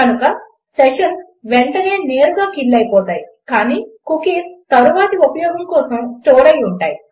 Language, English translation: Telugu, So sessions are killed straight away however cookies are stored for later use